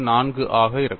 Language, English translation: Tamil, 4 it is not 0